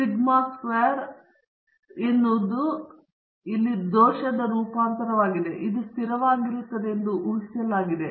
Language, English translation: Kannada, Sigma squared is the error variance, which is assumed to be constant